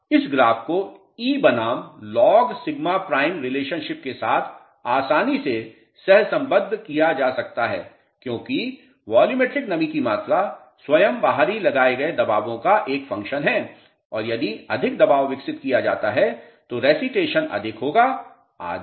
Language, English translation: Hindi, Now, this graph can be correlated easily with e versus log sigma prime relationship because the volumetric moisture content itself is a function of the external pressures which are applied and if more over the pressure is developed the recitation would be more and so on